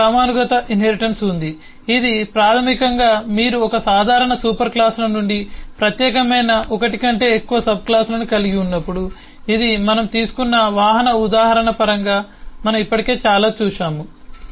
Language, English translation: Telugu, then next is hierarchal inheritance, which basically is when you have more than one subclass specialising from one common super classes, which is what we have already seen quiet a lot in terms of the vehicle example we just took here